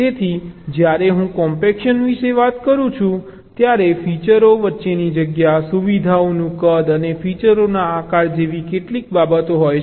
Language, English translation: Gujarati, fine, so when i talk about compaction there are a few things: space between the features, size of the features and shape of the features